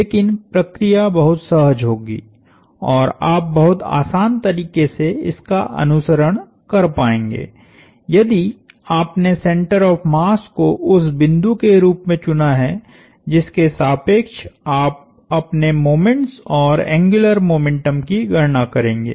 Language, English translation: Hindi, But, the procedure would be very straight forward and you will be able to follow along a lot easier, if you chose the center of mass as the point about which you would compute your moments and angular momentum